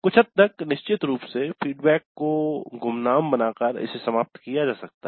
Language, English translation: Hindi, To some extent of course this can be eliminated by making the feedback anonymous, we will see